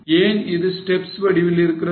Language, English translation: Tamil, Why it is in a step form